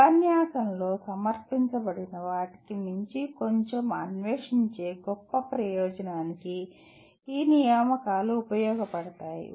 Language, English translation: Telugu, The assignments will serve a great purpose of exploring a little bit beyond what has been presented in the lecture